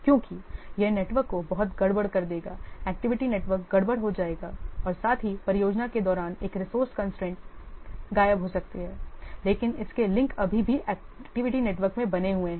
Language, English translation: Hindi, Because it will make the network very messy, the activity network will very messy, as well as a resource constraint may disappear during the project, but its link still remains in the activity network